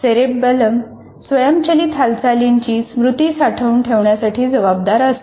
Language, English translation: Marathi, And it is cerebellum that is responsible for making or store the memory of automated movement